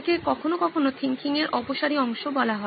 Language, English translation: Bengali, This is sometimes called the divergent part of thinking